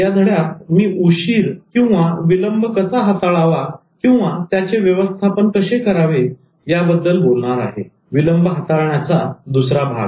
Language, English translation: Marathi, In this lesson I'll be talking about handling delay, the second part of handling delay and particularly I will focus on overcoming procrastination